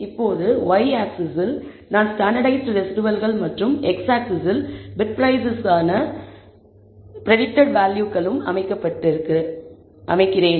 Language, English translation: Tamil, Now, on the y axis, I have standardized residuals and on the x axis, I have predicted values for bid price